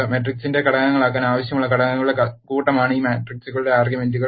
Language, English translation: Malayalam, The arguments to this matrix are the set of elements that are needed to be the elements of the matrix